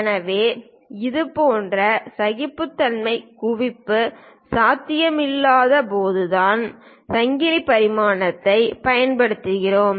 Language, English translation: Tamil, So, we use chain dimensioning only when such tolerances accumulation is not possible